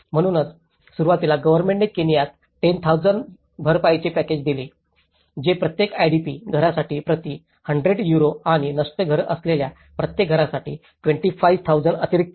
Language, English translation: Marathi, So, initially, there is a compensation package issued by the government about in a Kenyan of 10,000 which is about 100 Euros per IDP household and an additional 25,000 for each household with a destroyed house